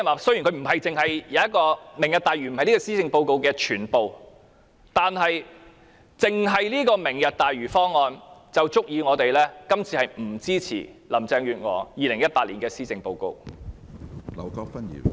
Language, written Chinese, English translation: Cantonese, 雖然"明日大嶼"並非施政報告的全部，但單單由於這項"明日大嶼"方案，便足以令我們不支持林鄭月娥2018年的施政報告。, Although the Lantau Tomorrow does not cover all the initiatives in the Policy Address just this option alone is enough for us not to support Carrie LAMs Policy Address 2018